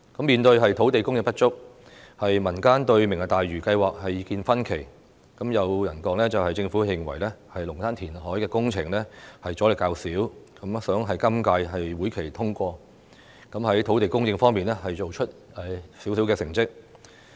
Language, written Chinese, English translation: Cantonese, 面對土地供應不足，民間對"明日大嶼"計劃的意見分歧，有人說政府認為龍鼓灘的填海工程阻力較少，故希望在今屆會期通過，以便在土地供應方面，做出少許成績。, On the issue of shortage of land supply people have expressed divided views on the Lantau Tomorrow plan . There is a saying that the Government thinking that the resistance against the Lung Kwu Tan reclamation project is smaller wishes to have the relevant funding proposal passed in the current session so as to achieve something in land supply